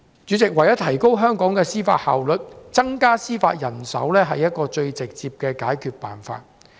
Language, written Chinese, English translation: Cantonese, 主席，為了提高香港的司法效率，增加司法人手是最直接的解決方法。, President in order to enhance the judicial efficiency of Hong Kong the most direct solution is to increase judicial manpower